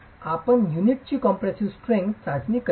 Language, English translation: Marathi, How do you test the compressive strength of the unit